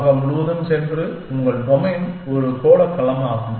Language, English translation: Tamil, Going all over the world then, your domain is a spherical domain